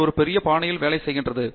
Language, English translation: Tamil, It works in a great fashion